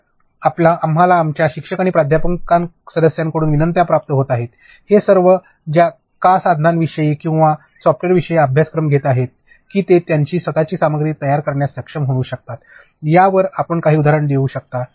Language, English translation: Marathi, So, we have been receiving requests from our teachers and faculty members who all are taking the course about some open sourced tools or software’s, that they can be able to use to get started creating their own content, can you give some instance on that